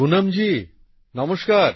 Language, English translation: Bengali, Poonam ji Namaste